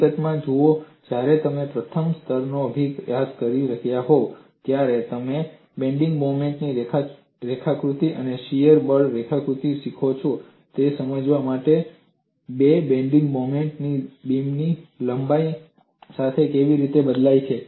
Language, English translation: Gujarati, See in fact, when you are learning a first level course, you learn the bending moment diagram and shear force diagram to understand how the bending moment changes along the length of the beam